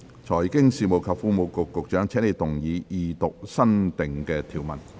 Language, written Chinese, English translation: Cantonese, 財經事務及庫務局局長，請動議二讀新訂條文。, Secretary for Financial Services and the Treasury you may move the Second Reading of the new clause